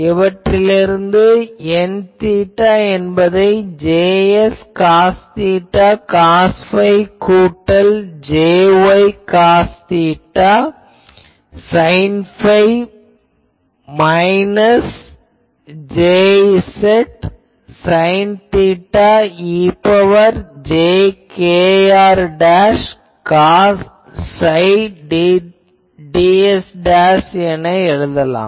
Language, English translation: Tamil, So, if I put that we get N theta is J x cos theta cos phi plus J y cos theta sine phi minus J z sine theta e to the power plus jkr dashed cos psi ds dash